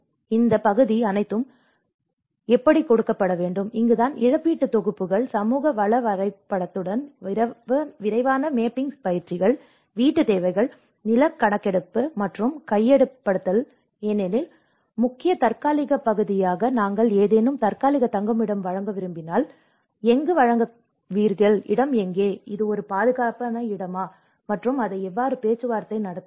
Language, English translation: Tamil, So, all this part has to be given and this is where we talk about compensation packages, rapid mapping exercises with community resource mapping, housing needs, land survey and acquisition because the main important part is here that if we want to provide any temporary shelter, where do you provide, where is the space, which is a safe place and how to negotiate it